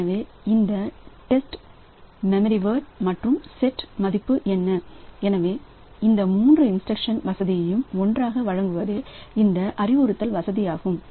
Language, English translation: Tamil, So, what this test memory word and set value so this instruction is going to provide us is it provides these 3 instruction facility together in a single instruction these 3 instructions are clapped